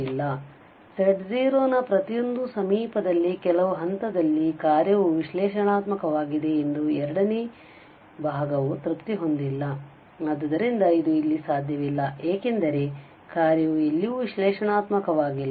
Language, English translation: Kannada, So, the second part is not satisfied that the function is analytic at some point in every neighbourhood of z0, so this is not possible here because the function is nowhere analytic